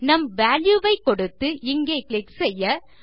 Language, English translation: Tamil, We have our value in and I click there